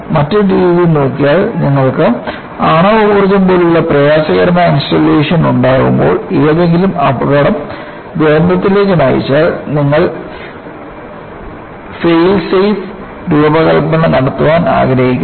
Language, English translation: Malayalam, Another way of looking at is, when you are having difficult installations like nuclear power, where any accident can lead to catastrophe, you would like to invoke, what is known as Fail safe design